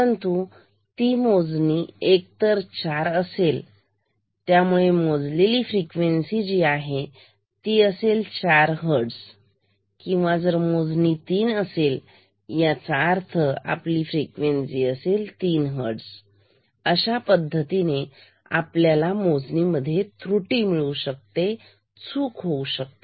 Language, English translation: Marathi, 5 Hertz, but the count is equal to either 4; implying estimated frequency or measured frequency will be equal to 4 Hertz or the count can come out to be 3; implying estimated frequency or measured frequency equal to 3 Hertz, in this way we can have an error